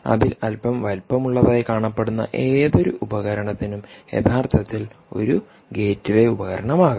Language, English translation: Malayalam, any of these devices which looks slightly bigger in size can actually form a gateway device